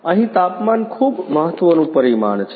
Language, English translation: Gujarati, The temperature is a very important parameter here